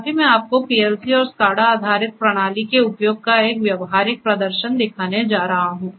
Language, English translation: Hindi, Right now, I am going to show you a practical demonstration of the use of PLC and SCADA based system